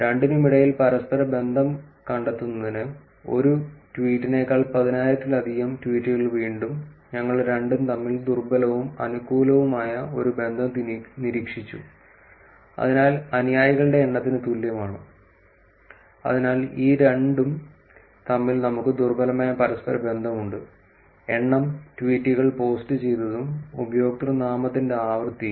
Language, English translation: Malayalam, To find correlation between the two, again the more greater than ten thousand tweets less than one tweet, we observed a weak and a positive correlation between the two, same as the number of followers that is so we have weak correlation between these two, number of tweets posted and the frequency of username change